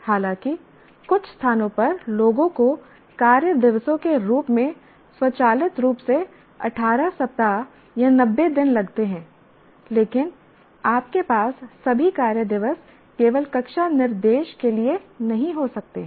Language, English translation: Hindi, Though in some places people automatically take it, say 18 weeks, 90 days as the working days, but you cannot have all the working days only for the classroom instruction